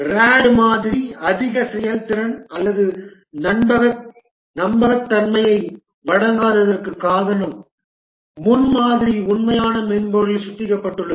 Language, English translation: Tamil, The reason why the RAD model does not give high performance and reliability is that the prototype itself is refined into the actual software